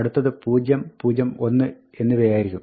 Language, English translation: Malayalam, The next one will be 0, 0, 1